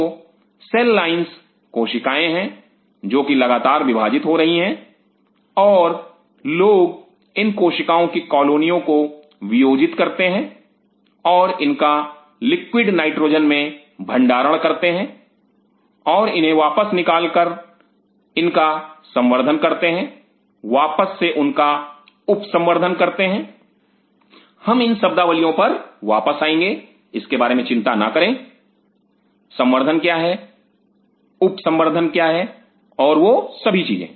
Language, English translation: Hindi, So, cell lines are cells which are continuously dividing and people isolate such colonies of cell and store it in liquid nitrogen and take them out and again culture them again subculture them we will come to these words do not worry about it what is culturing what is sub culturing and all those things